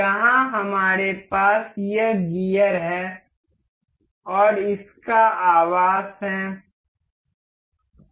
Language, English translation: Hindi, Here we have we have this gear and there it its housing